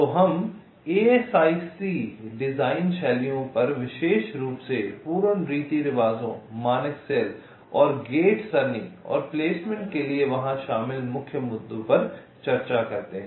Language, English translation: Hindi, so we discuss the asic design styles, in particular full customs, standard cell and gate array and the main issues involved there in for placement